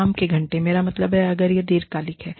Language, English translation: Hindi, The working hours, i mean, if it is long term